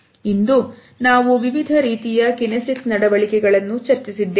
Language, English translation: Kannada, So, today we have discussed different types of kinesic behaviors